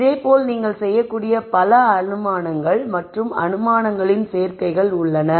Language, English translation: Tamil, So, since there are so many assumptions, there are many many combinations of assumptions you can make